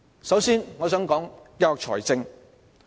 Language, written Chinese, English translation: Cantonese, 首先，我想談談教育財政。, First of all I would like to talk about education finance